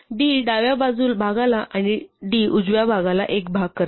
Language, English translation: Marathi, So, d divides the left and d divides one part of the right